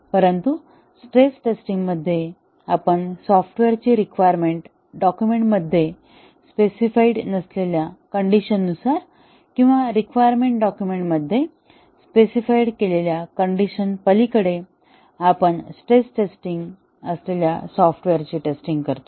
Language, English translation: Marathi, But in stress testing, we test the software with conditions that are not specified in the requirements document or those which beyond those which have been specified in the requirement document, we test the software that is the stress testing